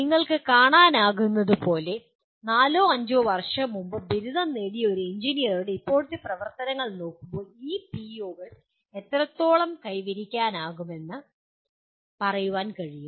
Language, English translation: Malayalam, As you can see, looking at the present activities of an engineer who graduated four to five years earlier we will be able to say to what extent these PEOs are attained